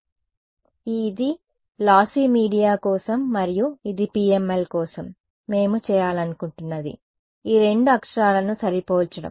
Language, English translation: Telugu, So, this is for lossy media and this is for PML and what we want to do is compare these two characters